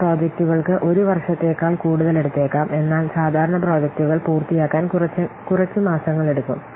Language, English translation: Malayalam, Some projects may take more than one year, but modern projects they typically take a few months to complete